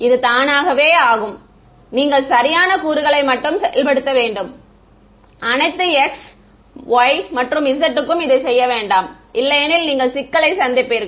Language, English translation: Tamil, It automatically yeah you just have to implement the correct components do not do it for all x y and z otherwise you will be in trouble ok